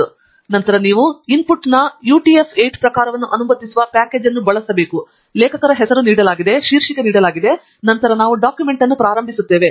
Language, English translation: Kannada, Then, we are using a package that would allow a utf8 type of an input, author name is given, title is given, and then, we start the document